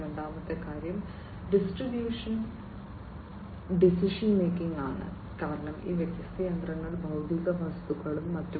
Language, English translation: Malayalam, The second thing is distributed decision making; distributed decision making, because these different machinery the physical objects and so on